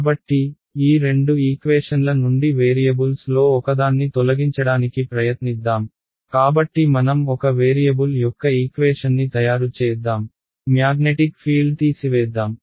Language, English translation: Telugu, So, let us try to eliminate one of the variables from these two equations, so let us make into a equation of one variable, let us remove the magnetic field ok